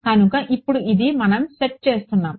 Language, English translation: Telugu, So, now, this is what we are setting